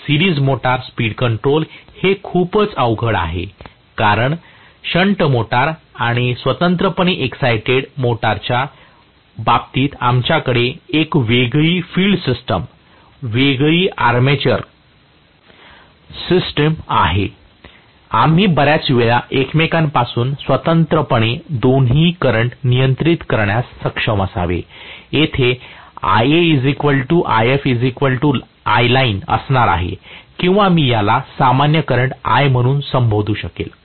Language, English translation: Marathi, Series motor speed control is a little too tricky because in the case of shunt motor and separately excited motor we have a distinct field system, distinct armature system, we should be able to control the two currents you know independent of each other, most of the times, whereas here I am going to have Ia equal to If equal to I Line or I may call this as the common current I